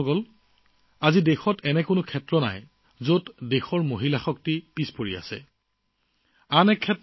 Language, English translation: Assamese, Friends, today there is no region in the country where the woman power has lagged behind